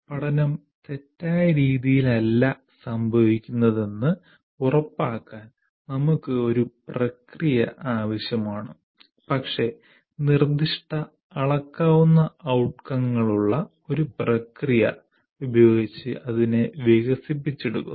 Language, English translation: Malayalam, So we need a process to ensure learning does not occur in a haphazard manner, but is developed using a process with specific measurable outcomes